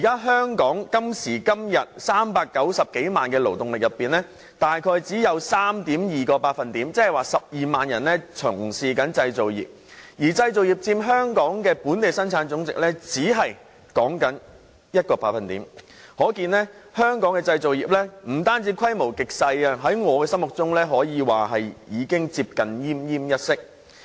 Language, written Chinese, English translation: Cantonese, 香港今時今日有390多萬勞動人口，大概只有 3.2% 是從事製造業，而製造業佔本地生產總值只有 1%， 可見本港製造業不單規模極小，在我心中更可謂接近奄奄一息。, Today in Hong Kong among the 3.9 - odd million employees in the labour force only around 3.2 % which is 120 000 employees are engaged in manufacturing industries whereas the manufacturing industries merely account for 1 % of the Gross Domestic Product . It is evident that the scale of the manufacturing industries in Hong Kong is meagre and to me it is on the verge of death